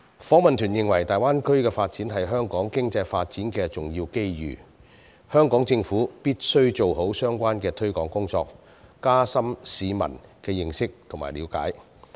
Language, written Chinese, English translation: Cantonese, 訪問團認為大灣區的發展是香港經濟發展的重要機遇，香港政府必須做好相關的推廣工作，加深市民的認識和了解。, The Delegation considers that the development of the Greater Bay Area will present major opportunities for the economic development of Hong Kong and the Hong Kong Government should do its best in promoting the Greater Bay Area development and deepen Hong Kong peoples understanding in this regard